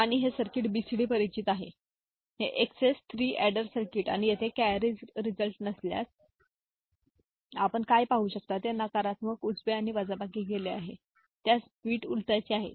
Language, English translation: Marathi, And this circuit is familiar the BCD these XS 3 adder circuit and here what you can see if there is no carry if there is no carry result is negative, right and subtraction is done and inversion of the bit